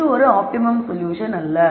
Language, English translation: Tamil, So, this cannot be an optimum either